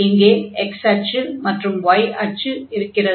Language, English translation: Tamil, Let us draw a line parallel to this x axis